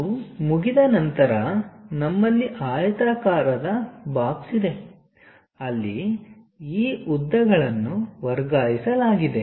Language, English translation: Kannada, Once it is done we have a box, rectangular box, where these lengths have been transferred